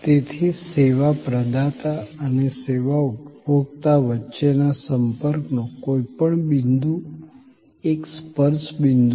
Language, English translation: Gujarati, So, any point of the contact, between the service provider and the service consumer is a touch point